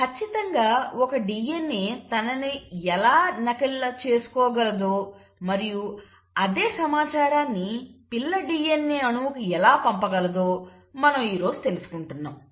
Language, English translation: Telugu, So that is what we are talking today, we are talking today exactly how a DNA is able to copy itself and pass on the same information to the daughter DNA molecule